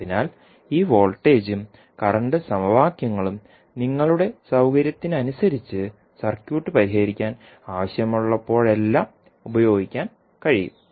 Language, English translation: Malayalam, So, these voltage and current equations you can use whenever it is required to solve the circuit according to your convenience